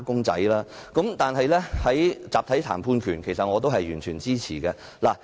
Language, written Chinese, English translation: Cantonese, 在確立集體談判權方面，我也是完全支持的。, I also fully support affirming the right to collective bargaining